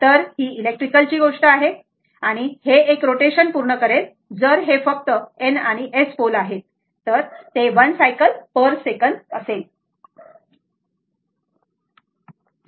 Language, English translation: Marathi, So, it is electrical thing although if it will it will make your one rotation, if it is only N and S pole, then it is 1 cycles per second right